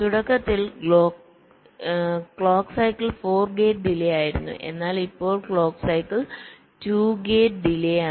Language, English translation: Malayalam, so, ah, so initially clock cycle was four gate delays, but now clock cycle is two gate delays